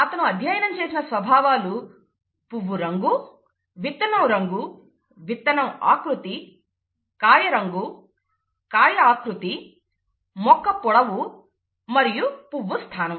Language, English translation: Telugu, The characters that he studied were flower colour, seed colour, seed shape, pod colour, pod shape, stem length and the flower position